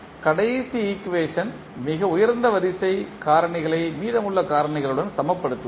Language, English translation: Tamil, We will equate the highest order term of the last equation to the rest of the terms